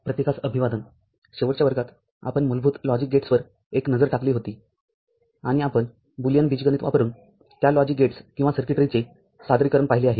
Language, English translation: Marathi, Hello everybody, in the last class, we had a look at basic logic gates and we had seen representations of those logic gates or circuitry using Boolean algebra